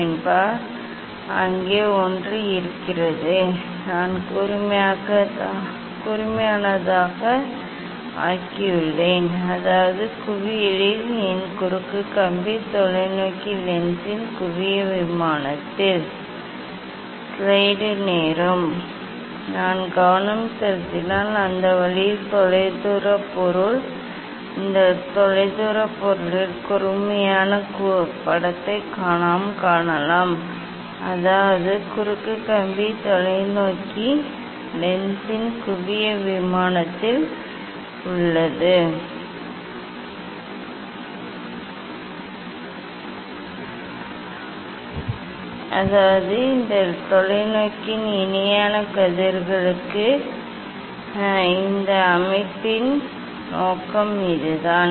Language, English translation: Tamil, Yes, there is a of there yes, I have make the of sharp; that means, my cross wire at the focal; at the focal plane of the telescope lens that way distance object if we focused, then and we can see the sharp image of this distant object; that means, the cross wire is at the focal plane of the telescope lens that is the that the purpose for this setting of this telescope for parallel rays